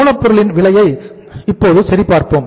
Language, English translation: Tamil, Let us check the raw material cost